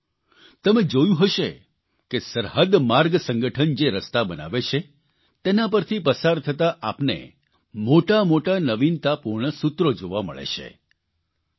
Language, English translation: Gujarati, you must have noticed, passing through the roads that the Border Road Organization builds, one gets to see many innovative slogans